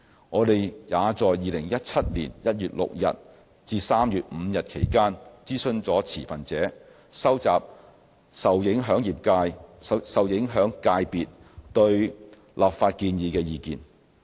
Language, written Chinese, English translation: Cantonese, 我們也在2017年1月6日至3月5日期間諮詢了持份者，收集受影響界別對立法建議的意見。, We also conducted a stakeholder consultation from 6 January to 5 March 2017 to seek views from the affected sectors on the legislative proposal